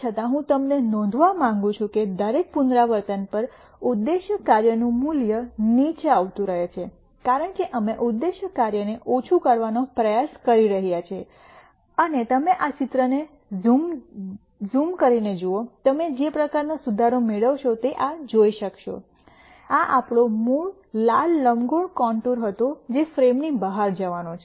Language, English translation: Gujarati, Nonetheless all I want you to notice is that at every iteration the value of the objective function keeps coming down because we are trying to minimize the objective function, and you can see the kind of improvement you get as we keep zooming down this picture, this was our original red elliptical contour which is kind of going outside the frame